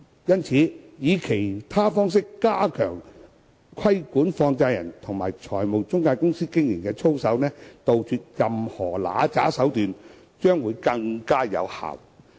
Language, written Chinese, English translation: Cantonese, 因此，以其他方式加強規管放債人及財務中介公司的經營操守，杜絕任何不良手段，將會更有效益。, In this connection it will be more effective to enhance regulation of the business conduct of money lenders and financial intermediaries to eliminate their unscrupulous practices in other ways